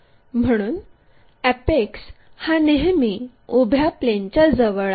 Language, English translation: Marathi, So, the apex always be near to vertical plane